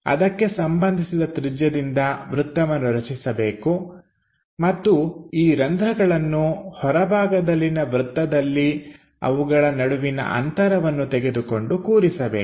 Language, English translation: Kannada, So, with those respective radius make circle and these holes are located on one outer circle, the pitch